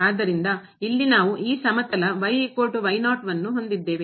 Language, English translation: Kannada, So, here we have this plane is equal to